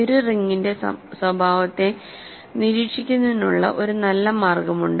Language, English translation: Malayalam, So, there is one good way of keeping track of characteristic of a ring